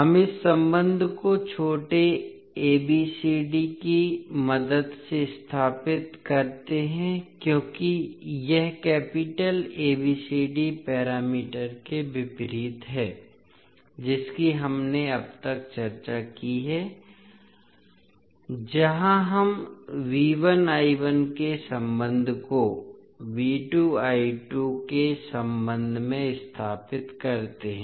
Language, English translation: Hindi, So we stabilise this relationship with the help of small abcd because it is opposite to the capital ABCD parameter which we have discussed till now where we stabilise the relationship of V 1 I 1 with respect to V 2 I 2